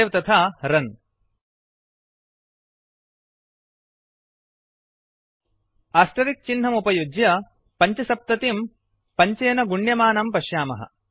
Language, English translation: Sanskrit, we see that by using asterisk we could multiply 75 by 5